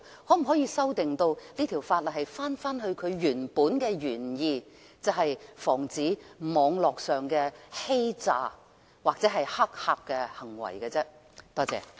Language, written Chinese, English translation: Cantonese, 那可否把修訂這項條例以致回復其原意，即防止網絡上的詐欺和黑客行為呢？, Therefore can this Ordinance be amended to restore its original intent of preventing Internet frauds and hacking?